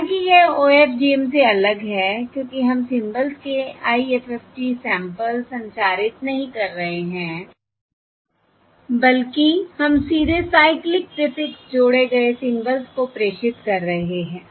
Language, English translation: Hindi, However, it is different from OFDM because we are not transmitting the IFFT samples of the symbols, rather, we are transmitting directly the cyclic prefix added symbols